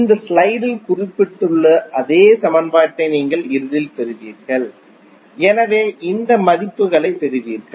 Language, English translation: Tamil, You will eventually get the same equation which is mentioned in this slide, so you will get these values